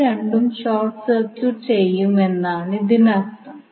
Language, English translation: Malayalam, It means that both of them will be short circuited